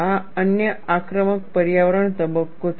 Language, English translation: Gujarati, This is another aggressive environment phase